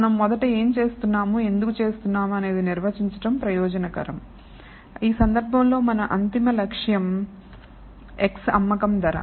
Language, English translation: Telugu, So, the purpose has to first define what why are we doing this in the first place in this case our ultimate aim is to x the selling price